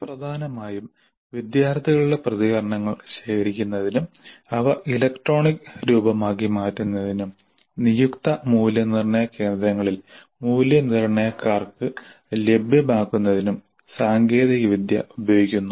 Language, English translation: Malayalam, So primarily the technology is being used to gather the student responses turn them into electronic form and make them available to the evaluators at designated evaluation centers